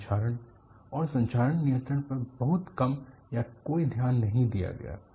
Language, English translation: Hindi, There was little or no attention paid to corrosion and corrosion control